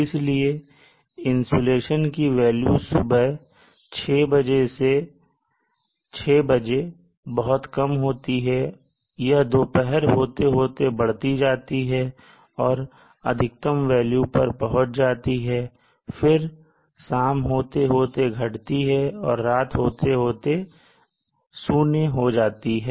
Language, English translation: Hindi, So insulation value would probably be at a pretty low value at around 6 o clock in the morning and gradually increase to a peak at noon and then further decrease again to 0 by dusk